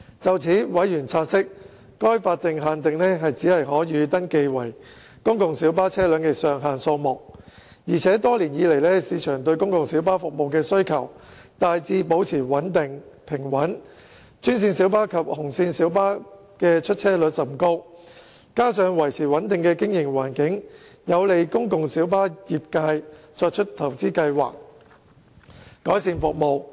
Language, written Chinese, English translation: Cantonese, 就此，委員察悉，該法定限定只是可予登記為公共小巴的車輛的上限數目，而且多年來，市場對公共小巴服務的需求大致保持平穩，專線小巴及紅線小巴的出車率甚高，加上維持穩定的經營環境，有利公共小巴業界作出投資計劃，改善服務。, In addition the demand for PLB service has remained generally stable over the years . The utilization of green minibuses and red minibuses are high . Further maintaining a stable operating environment for the PLB trade will be able to facilitate the trades plans for investment and service improvement